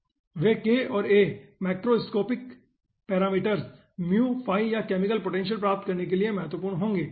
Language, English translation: Hindi, okay, those k and a will be important for getting macroscopic parameter, mu, phi or chemical potential